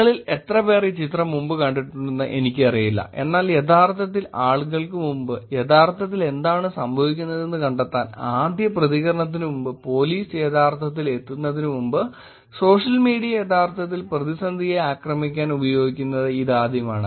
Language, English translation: Malayalam, I do not know how many of you have seen this picture before, but this is the first time ever the social media was actually used to attack crisis, to actually find out what is going on in real world before people actually, before the first responders, before police actually got to it